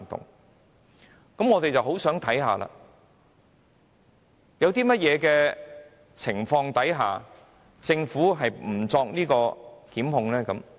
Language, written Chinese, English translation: Cantonese, 那麼，我們便很想看看，究竟在甚麼情況下，政府是不會作出檢控的？, Then we would want to know under what circumstances will the Government not bring prosecution?